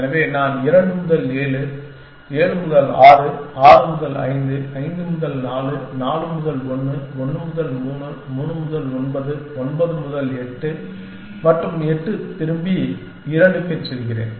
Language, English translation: Tamil, So, I go from 2 to 7, 7 to 6, 6 to 5, 5 to 4, 4 to 1, 1 to 3, 3 to 9, 9 to 8 and 8 back to 2